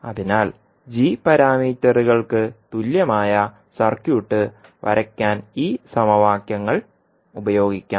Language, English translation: Malayalam, So these equations can be used to draw the equivalent circuit for g parameters